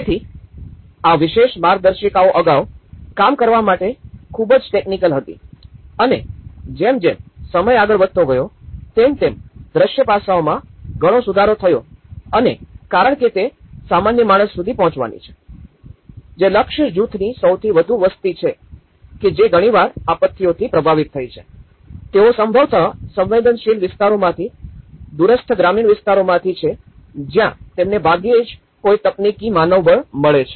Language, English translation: Gujarati, So, this particular manuals earlier, they were too technical to work on it and but as the time moved on, the visual aspect has improved quite a lot and because it has to reach to the common man, the most of the target group population who were often affected by the disasters, they are probably from the vulnerable areas especially, from the remote rural areas where you hardly get any technical manpower